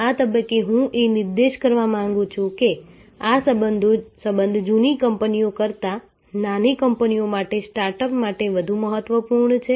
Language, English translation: Gujarati, At this stage I would like to point out thus the relationship is far more important for younger companies, for startups than for much older companies